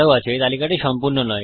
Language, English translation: Bengali, This list isnt exhaustive